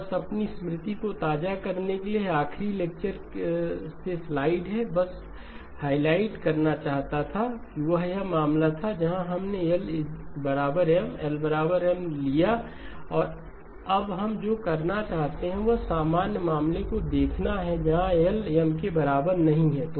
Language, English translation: Hindi, Just to refresh your memory this is the slide from the last lecture, just wanted to highlight, this was the case where we took L equal to M, L equal to M and what we would now like to do is look at the general case where L not equal to M